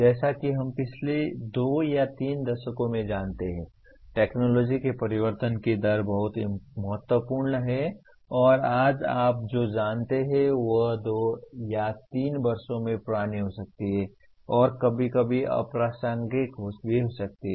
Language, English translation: Hindi, As we know in the last two or three decades, the rate of change of technology has been very significant and what you know today, may become outdated in two or three years and also sometimes irrelevant